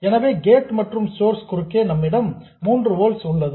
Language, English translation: Tamil, So, across the gate and source we have 3 volts